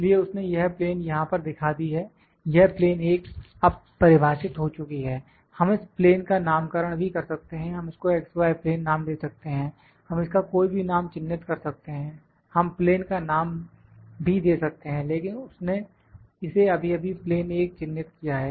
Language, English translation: Hindi, So, it has shown this plane here; this plane 1 is now defined, we can name the plane as well, we can name it x y plane, we can mark it whatever name we would like to give, we can name the plane as well, but it has just marked it plane 1